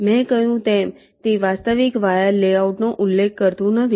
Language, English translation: Gujarati, in this step, as i said, it does not specify the actual wire layouts